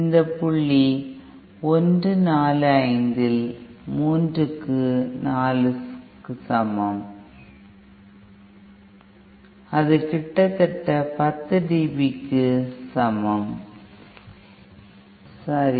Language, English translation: Tamil, And that is equal to 3 upon 4 point upon point 1 4 5 and that is nearly equal to 10 dB, okay